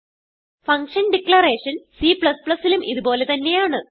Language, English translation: Malayalam, The function declaration is same in C++